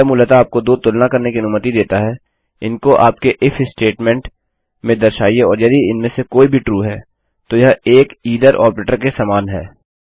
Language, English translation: Hindi, Basically it allows you to take two comparisons, show them in your if statement and if either of them are true then its like an either operator..